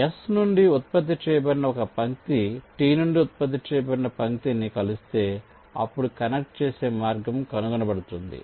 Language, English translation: Telugu, ah, if a line generated from s intersects a line generated from t, then a connecting path is found